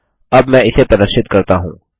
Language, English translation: Hindi, Let me demonstrate this now